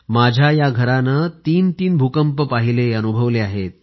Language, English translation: Marathi, This house has faced three earthquakes